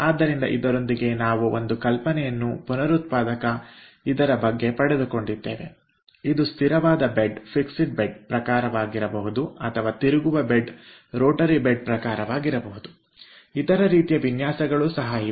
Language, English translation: Kannada, so with this we have got some idea regarding the regenerator, which could be fixed bed type or which could be a ah rotating bed type